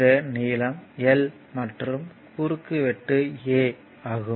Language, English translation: Tamil, And this length l and cross sectional area of it is A, right